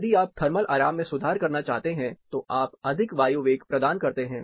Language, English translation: Hindi, If you want to improve thermal comfort, you provide more air velocity